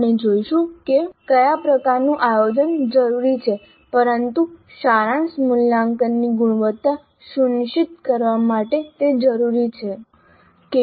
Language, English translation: Gujarati, We look at what kind of planning is required but that is essential to ensure quality of the summative assessment